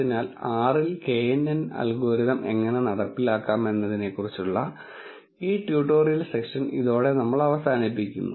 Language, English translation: Malayalam, So, with this we end this tutorial session on how to implement knn algorithm in R